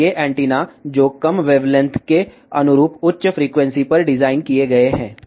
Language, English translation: Hindi, And these are the antennas, which are designed at higher frequency corresponding to lower wavelength